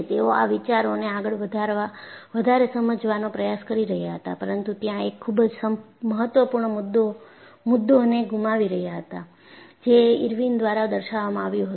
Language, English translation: Gujarati, And, they were trying to generate ideas, but they were missing a very important point; which was pointed out by Irwin